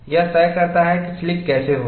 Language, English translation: Hindi, This dictates how the slipping will take place